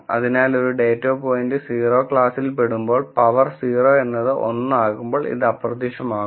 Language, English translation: Malayalam, So, whenever a data point belongs to class 0 anything to the power 0 is 1 so, this will vanish